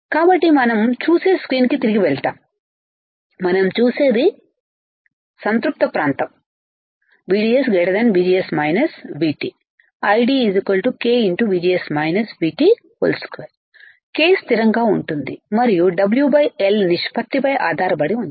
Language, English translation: Telugu, So, we go back to the screen what we see is, the saturation region saturation region VDS greater than VGS minus V T I D equals to k times VGS minus V T square k is constant and depends on the w by l ratio